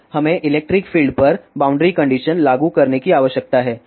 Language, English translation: Hindi, Now, we need to apply boundary conditions on the electric field